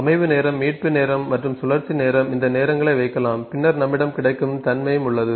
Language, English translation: Tamil, Processing time, setup time, recovery time and cycle time, these times can be put, then also we have the availability